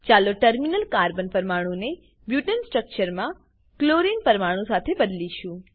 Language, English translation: Gujarati, Lets replace the terminal Carbon atoms in Butane structure with Chlorine atoms